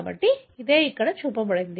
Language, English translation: Telugu, This is what is shown here